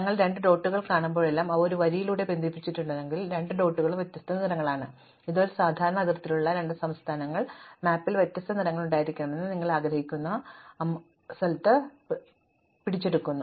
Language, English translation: Malayalam, That whenever, I see two dots, if they are connected by a line, then the two dots have different colors, this captures abstractly the property that we want any two states with a common border, to have different colors on the map